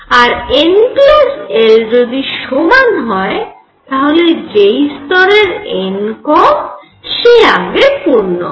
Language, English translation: Bengali, And if n plus l is the same then lower n is filled first right